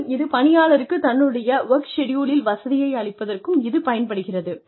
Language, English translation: Tamil, It can also be used, to offer the worker, flexibility in his or her work schedule